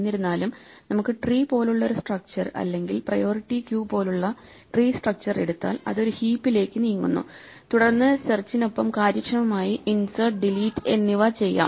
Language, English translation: Malayalam, However, it turns out that we can move to a tree like structure or a tree structure like in a priority queue it move to a heap and then do insert and delete also efficiently alongside searching